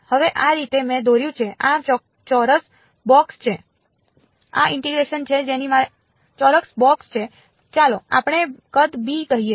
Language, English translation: Gujarati, Now this the way I have drawn these are square boxes of let us say size b